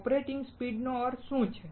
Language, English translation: Gujarati, What do you mean by operating speeds